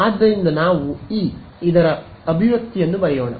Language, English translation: Kannada, So, let us just write down the expression for E theta